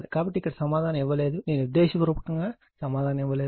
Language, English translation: Telugu, So, answer is not given here I given intentionally I did not write the answer